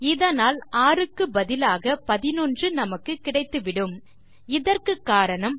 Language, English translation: Tamil, So, that means, instead of 6 we will get 11